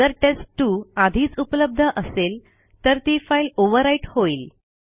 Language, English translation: Marathi, If test2 already existed then it would be overwritten silently